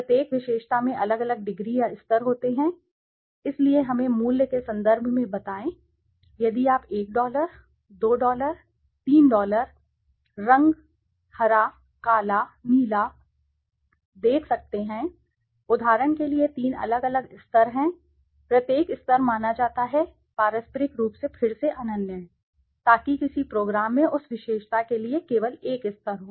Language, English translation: Hindi, Each attribute has varying degrees or levels, so let us say in terms of price if you can see 1$, 2$, 3$, color, green, black, blue for example are the three different levels, Each level is assumed to be mutually exclusive again, so that a program has only one level for that attribute